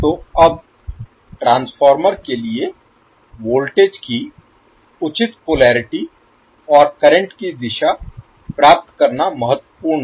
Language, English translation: Hindi, So now it is important to get the proper polarity of the voltages and directions of the currents for the transformer